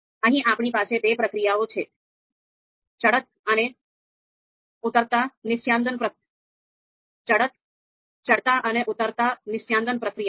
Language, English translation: Gujarati, So here, we have these two procedures, ascending and you know descending distillation procedures